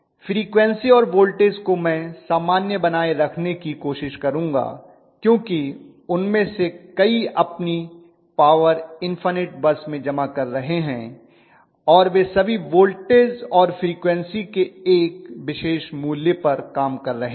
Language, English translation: Hindi, I will try to maintained the frequency and voltage normally because so many of them are actually poring their power into the infinite bus and all of them are working at a particular value of voltage and frequency